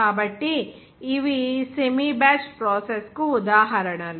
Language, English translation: Telugu, So, these are the examples of the semi batch process